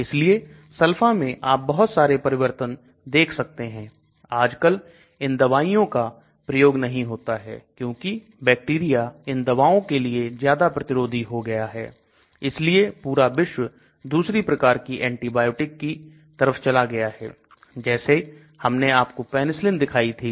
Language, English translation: Hindi, So you see different types of modifications to sulfa and these drugs nowadays are not used much because the bacteria have become more resistant to these drugs and the whole world have shifted towards different types of antibiotics like I showed you Penicillin